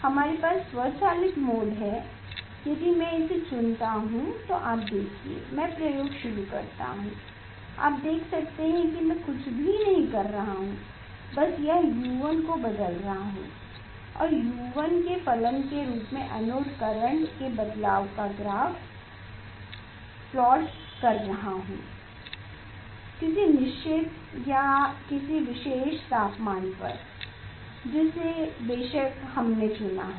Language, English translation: Hindi, we have to automatic mode if I choose then continue you can see I start experiment you can see I am not doing anything just it will it is just changing the U 1 and plotting the current variation of anode current variation as a function of U 1 at a particular temperature of course, we have chosen